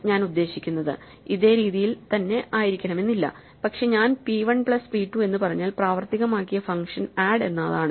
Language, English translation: Malayalam, I mean it does not mean it has to be this way, but if I say p 1 p 2 the function that is invoked is add